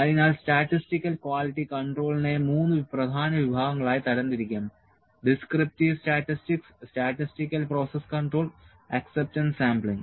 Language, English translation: Malayalam, So, statistical quality control can be divided into three major categories descriptive statistics, statistical process control and acceptance sampling